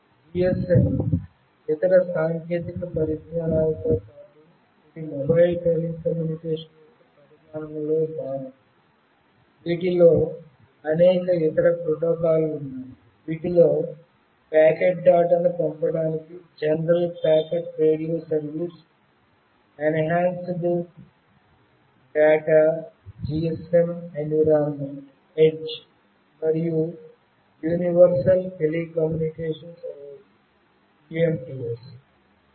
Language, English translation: Telugu, GSM, along with other technologies, is part of the evolution of mobile telecommunication, which include many other protocols as well, like General Packet Radio Service that for sending packet data, Enhanced Data GSM Environment , and Universal Mobile Telecommunication Service